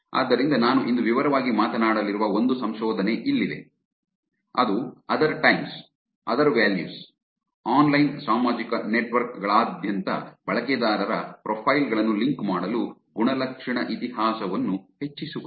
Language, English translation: Kannada, So, here is a paper that I'm going to be talking in detail today, which is other times, other values, leveraging attitude history to link user profiles across online social networks